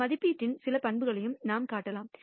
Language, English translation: Tamil, We can also show some properties of this estimate